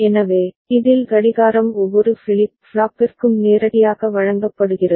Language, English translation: Tamil, So, in this the clock is directly fed to each of the flip flop right